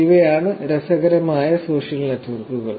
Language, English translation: Malayalam, What are the building blocks of social networks